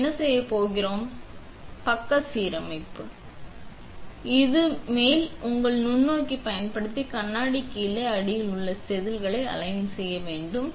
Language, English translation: Tamil, What we are going to do now is top side alignment by using the microscope on the top to align to the wafer that is underneath to the glass